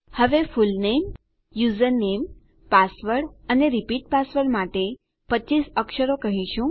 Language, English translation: Gujarati, Now we say 25 characters for our fullname, username, password and repeat password